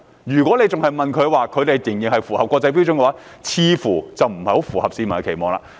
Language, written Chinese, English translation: Cantonese, 如果政府仍聲稱日方符合國際標準，似乎不太符合市民的期望。, The Government might fall short of public expectation by insisting that the Japanese authorities have met international standards